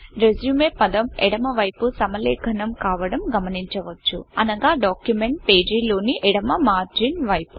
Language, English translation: Telugu, You will see that the word RESUME is left aligned, meaning it is towards the left margin of the document page